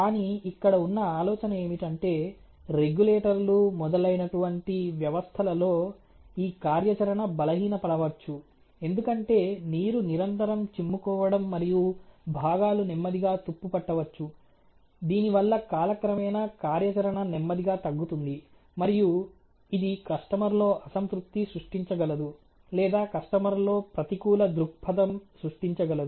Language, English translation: Telugu, But the idea here is that there this can be get impaired the functionality of such system like regulators etcetera, because of the continuous flashing of water and going inside may slowly get rusted, and because of with the functionality may slowly get you know reduced over time, and it can create a customer dissatisfaction you know a customer negative point for the customer